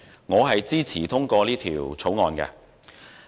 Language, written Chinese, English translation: Cantonese, 我支持通過《條例草案》。, I support the passage of the Bill